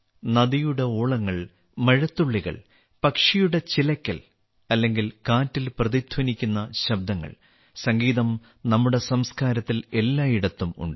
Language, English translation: Malayalam, Be it the murmur of a river, the raindrops, the chirping of birds or the resonating sound of the wind, music is present everywhere in our civilization